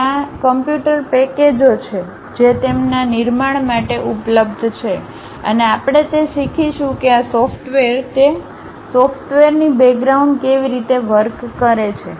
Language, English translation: Gujarati, There are computer packages which are available to construct that and what we will learn is how these softwares, the background of those softwares really works